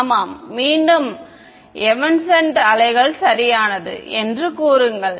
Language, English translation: Tamil, Yeah, correct say that again evanescent waves right